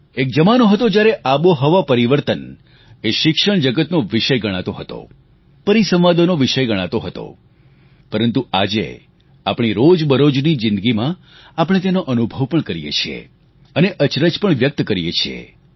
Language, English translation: Gujarati, There used to be a time when climate change was a subject confined to the domain of the academic world, it used to be the topic for seminars, but today, we experience it in our everyday life and it also astounds us